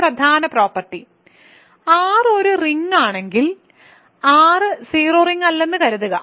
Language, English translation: Malayalam, So, one important remark is if R is a ring and assume that R is not the zero ring